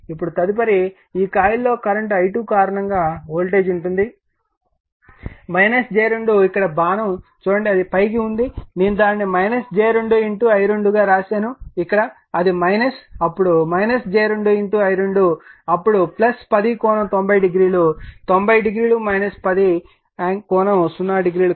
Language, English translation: Telugu, Now, next is voltage induced your what you call in this coil due to the current here i 2 will be minus j 2 look at the arrow here it is upward, I have made it your what you call minus j 2 into i 2 right here, it is minus then minus j 2 into i 2, then plus 10, 90 degree angle, 90 degree minus 10 angle 0 degree